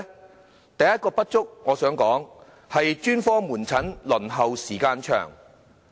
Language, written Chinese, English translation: Cantonese, 我想指出，第一個不足之處是專科門診的輪候時間長。, I wish to point out that the first insufficiency is the long waiting time for specialist outpatient services